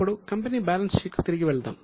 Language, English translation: Telugu, Now, let us go back to company balance sheet